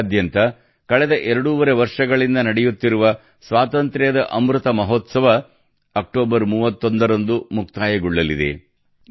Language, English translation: Kannada, The Azadi Ka Amrit Mahotsav, which has been going on for the last two and a half years across the country, will conclude on the 31st of October